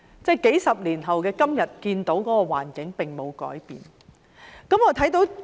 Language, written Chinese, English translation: Cantonese, 在數十年後的今天，這種環境仍然沒有改變。, Today decades later this kind of environment has still not changed